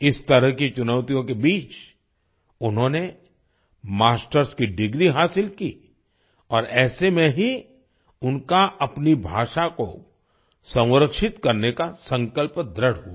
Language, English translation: Hindi, Amidst such challenges, he obtained a Masters degree and it was only then that his resolve to preserve his language became stronger